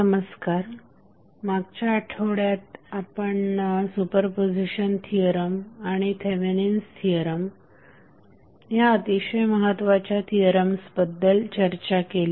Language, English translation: Marathi, So, in the last week we discussed about two very important theorems those were superposition theorem as well as Thevenin's theorem